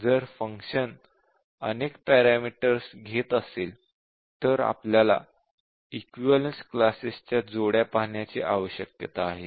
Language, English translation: Marathi, If there are multiple parameters then we need to look at the combinations of the equivalence classes